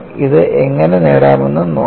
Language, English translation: Malayalam, Let us see how we can do it